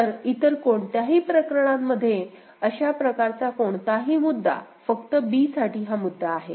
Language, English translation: Marathi, So, none of the other cases, there is any such issue only for b, there is the issue